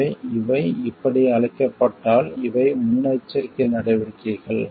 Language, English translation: Tamil, So, if these are called like the these are the proactive measures